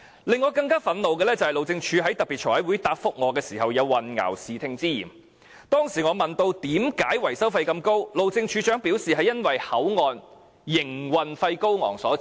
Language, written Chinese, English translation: Cantonese, 令我更憤怒的是，路政署在財委會特別會議答覆我時有混淆視聽之嫌，當時我問及為甚麼維修費這麼高昂，路政署署長表示，是由於口岸營運費高昂所致。, What angered me more was that the Highways Department had seemingly given misleading information in its reply to me during a special meeting of the Finance Committee . At that time I asked why the maintenance cost was so high and the Director of Highways advised that it was a result of the high operating cost of the HKBCF